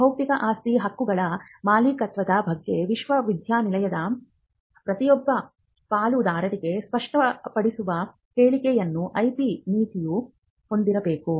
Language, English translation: Kannada, So, there will be the IP policy should capture a statement which makes it very clear for every stakeholder in the university on ownership of intellectual property rights